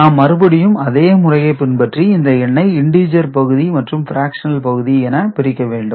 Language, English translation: Tamil, So, here what we do again we follow the same process, we divide the number into integer part and fractional part